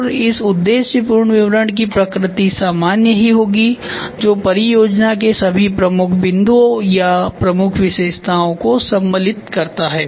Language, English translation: Hindi, And this objective statement will be generic in nature which captures all the key points or the key features of the project